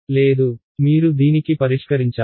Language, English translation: Telugu, No you have solved this ok